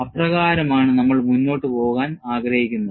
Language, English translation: Malayalam, That is the way, that we are going to proceed